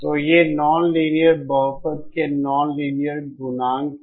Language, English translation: Hindi, So these are the non linear coefficients of the non linear polynomial